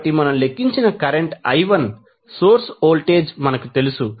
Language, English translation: Telugu, So, source voltage we know current I1 we have calculated